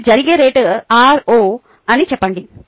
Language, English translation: Telugu, let us say that the rate at which this happens is r